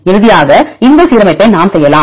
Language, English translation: Tamil, And finally, we can make this alignment